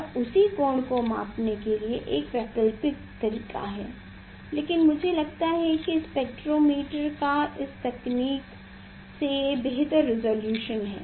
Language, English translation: Hindi, this is an alternative method to measure the same angle, but I think spectrometer have better resolution than this technique